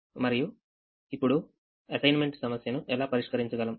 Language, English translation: Telugu, now how do we solve an assignment problem